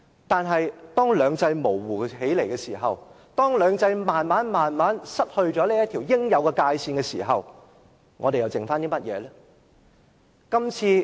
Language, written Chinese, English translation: Cantonese, 可是，當兩制模糊起來，當兩制漸漸失去這條應有的界線時，我們又剩餘甚麼呢？, But when differences between the two systems become fuzzy when the two systems gradually lose this visible line of divide they should have what exactly is left with us?